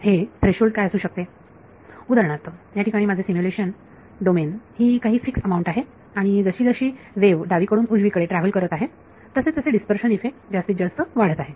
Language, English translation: Marathi, So, what can that threshold be; for example, my simulation domain is some fixed amount over here and as the wave travels from the left to the right the dispersion effects will grow more and more